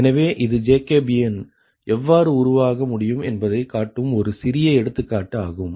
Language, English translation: Tamil, so it is a small, small example to show that how jacobian can be form, right